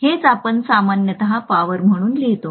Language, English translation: Marathi, This is what we normally write as the power